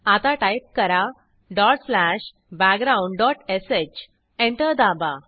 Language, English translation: Marathi, Now type dot slash background.sh Press Enter